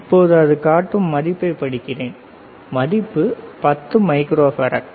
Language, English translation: Tamil, So, let me read the value, the value is 10 microfarad